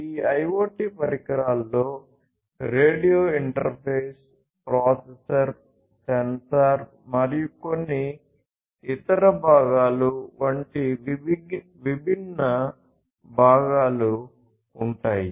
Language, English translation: Telugu, So, these IoT devices we will have different components such as the radio interface, the processor, the sensor and few other components could also be there